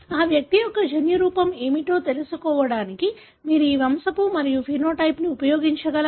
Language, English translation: Telugu, Can you use this pedigree and the phenotype that is denoted to arrive at what would be the genotype of that individual